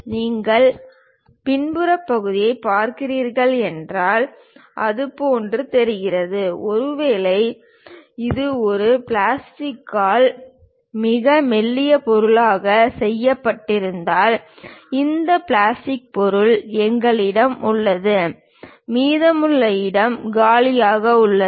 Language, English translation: Tamil, And if you are looking back side part, it looks like; perhaps if it is made with a plastic a very thin material, this is the part where we have this plastic material and the remaining place is empty